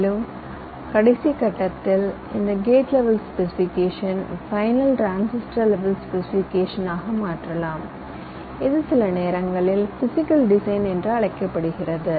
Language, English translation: Tamil, and in the last step, this gate level specification might get translated to the final transistor level specification, which is sometimes called physical design